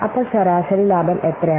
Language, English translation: Malayalam, So, average profit is coming to be how much